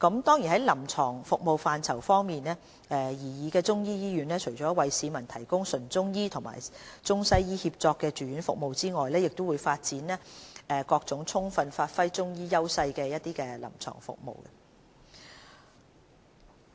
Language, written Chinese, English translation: Cantonese, 在臨床服務範疇方面，擬議的中醫醫院除了為市民提供中醫和中西醫協作方面的住院服務外，亦會發展各種充分發揮中醫藥優勢的臨床服務。, In parallel with the provision of Chinese medicine and ICWM inpatient services the proposed Chinese medicine hospital will also develop and give full play to the edges of the Chinese medicine clinical services